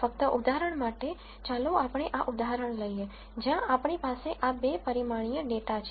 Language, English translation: Gujarati, Just for the sake of illustration, let us take this example, where we have this 2 dimensional data